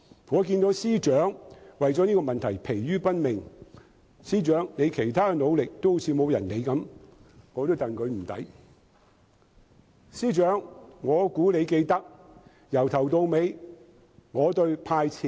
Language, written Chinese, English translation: Cantonese, 我看到司長為了這個問題而疲於奔命，而司長的其他努力卻似乎沒有人理會，我也為他感到不值。, I saw the Secretary tired out by running around to address this question . It seems his other efforts are left unnoticed . I feel sorry for him